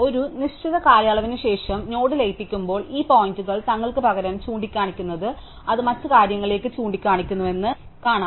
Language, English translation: Malayalam, So, after a period of time we will see that when we merge node, these pointers will point instead of themselves it will point to other things